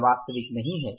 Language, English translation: Hindi, This is not the actual